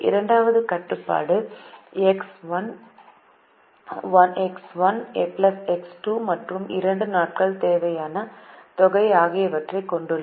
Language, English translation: Tamil, the second constraint has x one plus x two and the sum of two days demand